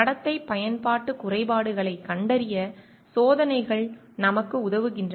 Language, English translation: Tamil, Experiments help us to find out behavioural usage flaws